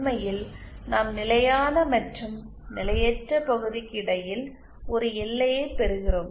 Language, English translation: Tamil, In fact we get a boundary between the stable and unstable region